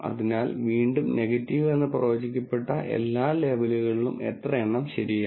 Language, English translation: Malayalam, So, again of all the labels that are predicted as negative, how many are actually correct